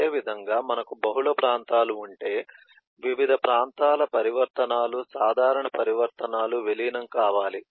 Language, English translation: Telugu, similarly, if you have multiple regions, we need to merge the different regions, the transitions, common transitions